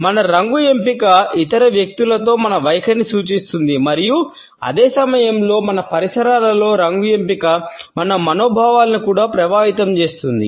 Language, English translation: Telugu, Our choice of color suggests our attitudes to other people and at the same time the choice of color in our surroundings influences our moods also